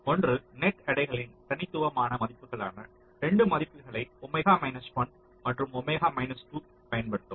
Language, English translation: Tamil, one says that you use discrete values of net weights, two values, omega one and omega two